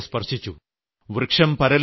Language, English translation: Malayalam, It touched my heart